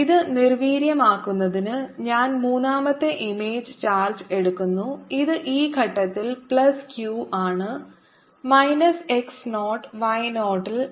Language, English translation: Malayalam, to neutralize this i take third image charge which i put at this point, which is plus q at minus x, zero y zero